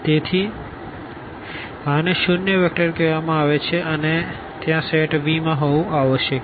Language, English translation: Gujarati, So, this is called the zero vector and this must be there in the set V